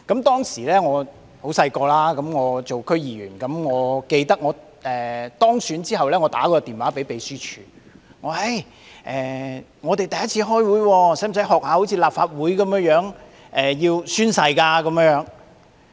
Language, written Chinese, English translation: Cantonese, 當時我很年青，我記得我在當選後致電秘書處，詢問第一次開會時是否要像立法會議員般宣誓。, I was very young at the time and I remember that after being elected I called the Secretariat and asked whether I had to take an oath at the first meeting like Legislative Council Members